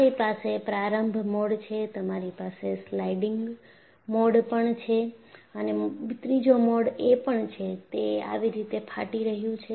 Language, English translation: Gujarati, You have the opening mode, you have the sliding mode and the third mode is it is tearing like this